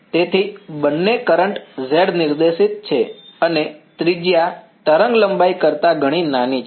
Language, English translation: Gujarati, So, both currents are z directed and radius is much smaller than wavelength ok